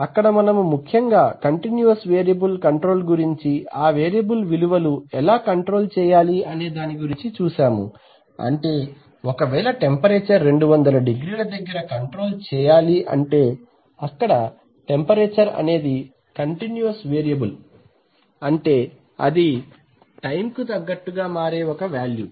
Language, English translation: Telugu, So there we study mainly continuous variable control where we are interested in controlling the value of a variable, let that, let the temperature be 200˚C that kind of control where the temperature is a continuous variable in the sense that it can continuously value over time